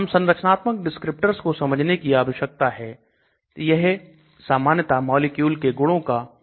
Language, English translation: Hindi, We need to know the structural descriptors, which normally describe the molecular properties